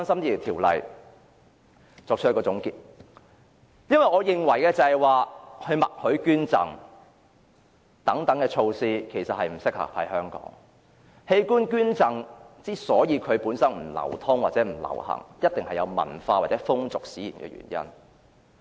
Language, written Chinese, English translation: Cantonese, 讓我作出總結，因為我認為"默許捐贈"等措施不適合香港，而器官捐贈之所以不流行，必定基於文化或風俗的原因。, Let me give my conclusion . The reason is that in my view measures such as an opt - out mechanism are not suitable for Hong Kong and the unpopularity of organ donation can certainly be explained by cultural or custom factors